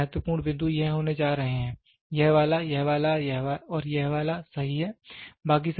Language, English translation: Hindi, The most important points are going to be this one, this one, this one and this one, right